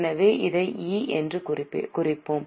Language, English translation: Tamil, So, we will put it as E